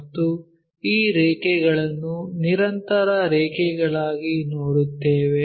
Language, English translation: Kannada, And these lines we will see as continuous lines